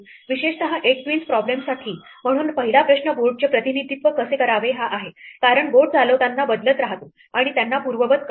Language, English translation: Marathi, Specifically, for the 8 queens problem, so our first question is how to represent the board because a board is what keeps changing as we make moves and undo them